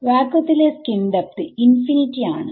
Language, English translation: Malayalam, What is the skin depth of vacuum